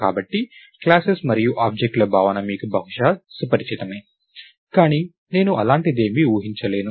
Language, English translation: Telugu, So, the notion of classes and objects are probably familiar to you, but I am not going to assume assume anything like that